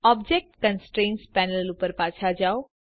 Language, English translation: Gujarati, This is the Object Constraints Panel